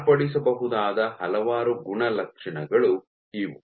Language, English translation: Kannada, These are several of the properties that can be varied